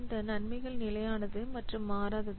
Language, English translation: Tamil, These benefits are also constant and they do not change